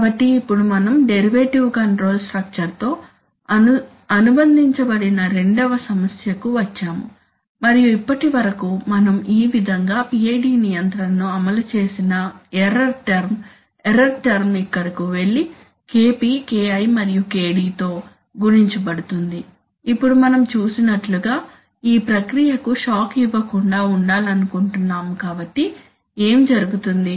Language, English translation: Telugu, So now we come to the now there is, there is a second problem associated with the derivative control structure and so far as we have seen, we have implemented, we have, we have implemented the PID control like this that is the error term, the error term goes here gets multiplied by KP gets multiplied KI and gets multiplied by KD also, now as we have seen that we want to avoid giving shocks to the process right